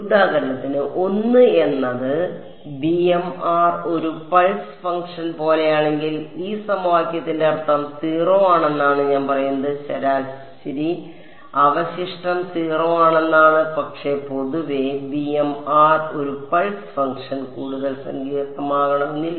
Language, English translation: Malayalam, For example, if b m of r was 1 like a pulse function, then I am I saying the average residual is 0 that would be the meaning of this equation right, but in general b m of r need not me just a pulse function can be something more complicated